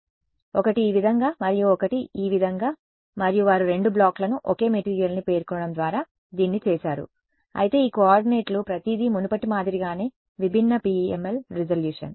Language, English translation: Telugu, So, one this way and one this way and they have done it by specifying two blocks same material, but this coordinates are different PML resolution everything as before ok